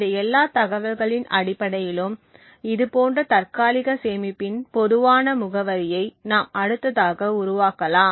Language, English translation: Tamil, Based on all of this information we can next construct a typical address of such a cache